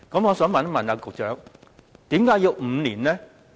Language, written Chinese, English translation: Cantonese, 我想問局長，為何要5年？, May I ask the Secretary why must it be five years?